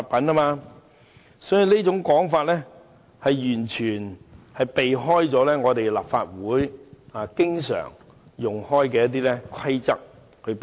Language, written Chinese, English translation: Cantonese, 所以，他這種說法完全避開了立法會經常引用的規則。, Hence his argument is circumventing the rules frequently invoked by the Legislative Council